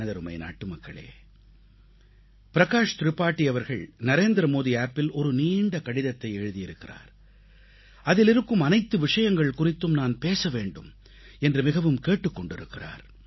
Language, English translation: Tamil, My dear countrymen, Shriman Prakash Tripathi has written a rather long letter on the Narendra Modi App, urging me to touch upon the subjects he has referred to